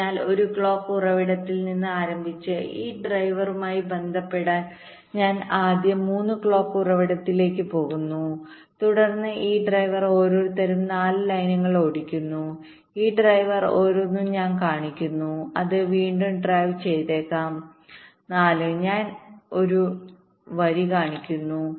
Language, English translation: Malayalam, so, starting from a clock source, i am first going to three clock source with respect to this driver, then the each of this driver is driving four lines, and each of this driver i am showing one it may be driving again four